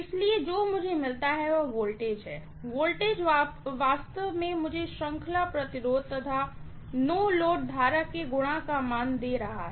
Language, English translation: Hindi, So, what I get there is the voltage, the voltage is actually giving me the no load current multiplied by the series resistance